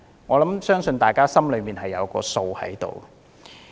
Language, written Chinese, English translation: Cantonese, 我相信大家心中有數。, I guess we already have an answer in our minds